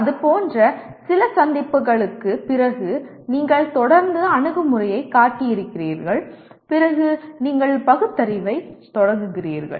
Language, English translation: Tamil, Then after few encounters like that you have consistently shown the attitude then you start rationalizing